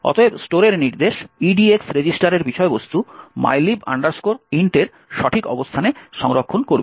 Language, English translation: Bengali, Therefore, the store instruction would store the contents of the EDX register to the correct location of mylib int